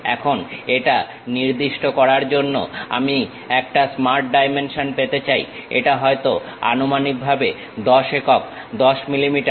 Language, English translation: Bengali, Now, I would like to have a Smart Dimension to specify this supposed to be 10 units 10 millimeters